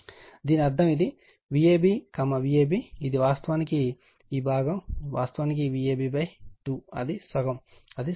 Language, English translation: Telugu, So, that means, this one this V ab right, V ab this is actually this portion actually V ab by 2 it is half it is equilateral triangle